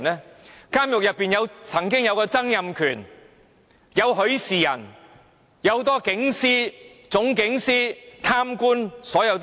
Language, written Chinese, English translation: Cantonese, 曾經入獄的有曾蔭權、許仕仁，還有很多警司、總警司、貪官等。, Those who have been imprisoned include Donald TSANG Rafael HUI and many Divisional Commanders of Police District Commanders of Police and corrupt officials